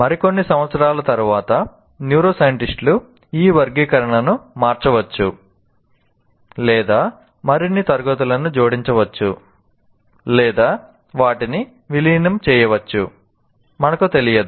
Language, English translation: Telugu, Maybe after a few years, again, neuroscientists may change this classification or add more classes or merge them, we don't know